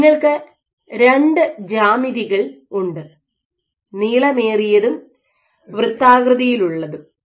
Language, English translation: Malayalam, So, you have two geometries elongated and circular on work